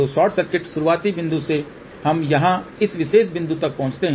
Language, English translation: Hindi, So, from short circuit starting point we reach to this particular point here